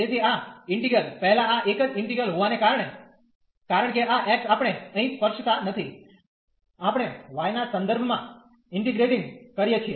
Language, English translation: Gujarati, So, having this integral first this again a single integral, because this x we are not touching here, we are integrating with respect to y